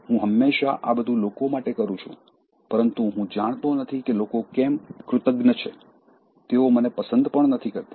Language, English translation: Gujarati, I always know this, that, for people, but I don’t know people are ungrateful, they don’t even like me